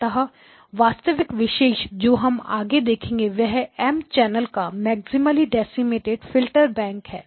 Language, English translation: Hindi, So what is the actual topic that we are going to do next is an M Channel maximally decimated Filter Bank